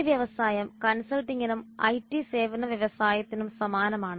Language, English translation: Malayalam, This industry is similar to consulting and IT services industry